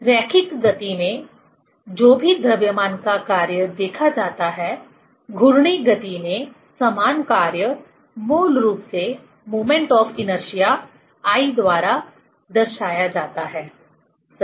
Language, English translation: Hindi, In linear motion whatever the function of mass seen, in rotational motion the same function is, it is basically represented by the moment of inertia I, right